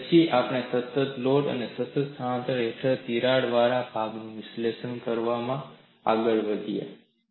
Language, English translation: Gujarati, Then we moved on to analyzing a crack body under constant load and constant displacement